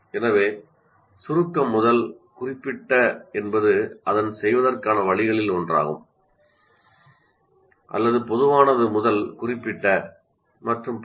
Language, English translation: Tamil, So abstract to concrete is one of their ways of doing it, are general to specific and so on